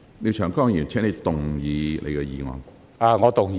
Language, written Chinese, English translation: Cantonese, 廖長江議員，請動議你的議案。, Mr Martin LIAO please move your motion